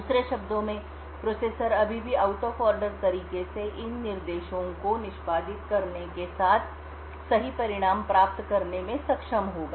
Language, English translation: Hindi, In other words the processor would still be able to get the correct result with even executing these instructions in an out of order manner